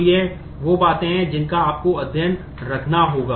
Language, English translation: Hindi, So, these are the things that you will have to take care ah